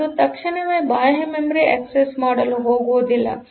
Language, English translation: Kannada, So, that it does not go to access the external memory immediately